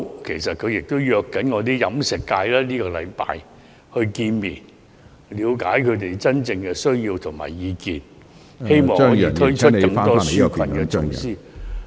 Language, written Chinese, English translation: Cantonese, 其實，他正約飲食界在這星期見面，了解他們真正的需要和意見，希望可以推出更多紓困措施......, In fact he is arranging a meeting with the catering industry this week so as to ascertain their true aspirations and views with the hope of introducing more relief measures